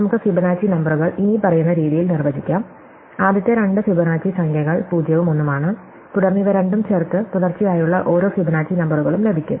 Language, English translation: Malayalam, So, let us define the Fibonacci numbers as follows, the first two Fibonacci numbers are 0 and 1 and then every successive Fibonacci number is obtained by adding these two